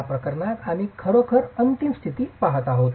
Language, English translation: Marathi, In this case we're really looking at the ultimate condition